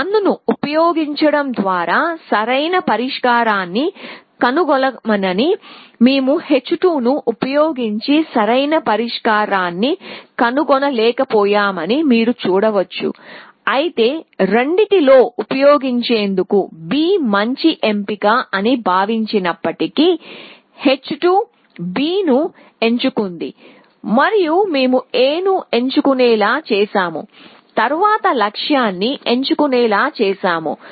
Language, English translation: Telugu, So, you can see that using h 1 of h 1 we could find the optimal solution using h 2 we could not find the optimal solution, even though both of them thought that B was the better choice using h 2 we picked B and then we picked the goal using h 1 we picked B, but then we were forced to pick A and then we were forced to pick the goal essentially